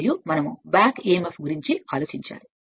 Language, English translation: Telugu, And this is your what you call we have to think about the back emf right